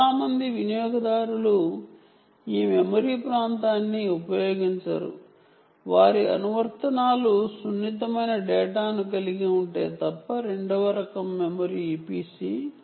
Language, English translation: Telugu, most users do not use this memory area unless their applications are contain sensitive data